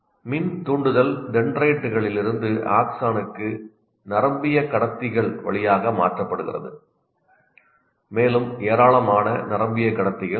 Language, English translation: Tamil, And when the electrical impulse is transferred from dendrites to axon through not directly, but through neurotransmitters and there are a large number of neurotransmitters available